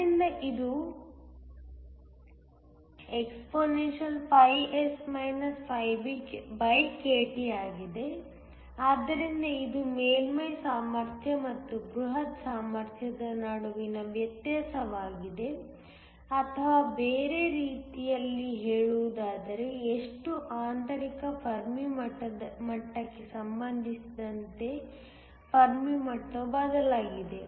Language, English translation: Kannada, So, it is expS BkT, so that it is a difference between the surface potential and the bulk potential or in other words how much the fermi level has shifted with respect to the intrinsic Fermi level